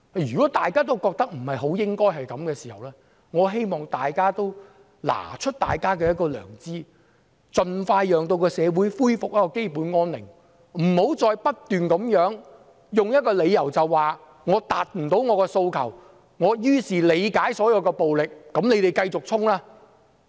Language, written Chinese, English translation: Cantonese, 如果大家也覺得不應該這樣，我希望大家拿出良知，盡快讓社會恢復基本安寧，不要再不斷用一個理由，說無法達到訴求，故此理解所有暴力，支持繼續衝擊。, If everyone thinks that this should not be the case I hope that they will show their conscience so that our society can restore overall peace as soon as possible . Do not keep using the reason that as the demands have not been met all the violence can be understood and supported